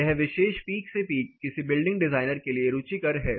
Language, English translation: Hindi, So, this particular peak to peak this is what is of interest to any building designer